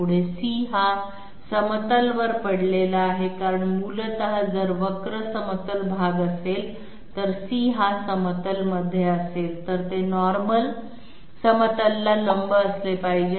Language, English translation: Marathi, Further since C is lying on the plane because essentially if the curve is part of the plane therefore, C has to be part of the plane as well because C is tangent to the curve